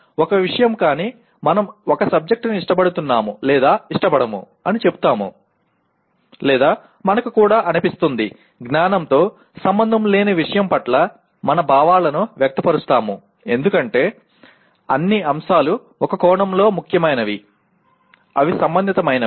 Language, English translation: Telugu, A subject is a subject but we say we like or dislike a subject or we also feel; we express our feelings towards the subject which is nothing to do with cognition because all subjects in one sense are important, they are relevant